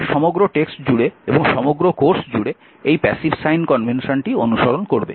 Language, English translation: Bengali, Throughout the text or throughout this course we will follow the passive sign convention